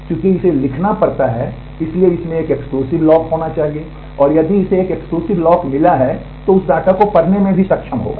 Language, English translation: Hindi, Since it has to write it must have a exclusive lock and, if it has got an exclusive lock it will also be able to read that data